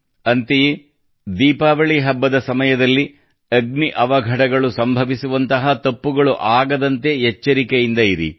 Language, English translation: Kannada, And yes, at the time of Diwali, no such mistake should be made that any incidents of fire may occur